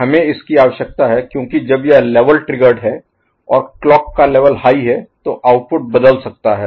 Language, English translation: Hindi, We require it because when it is level triggered during when the clock level, the clock output is high, the output can change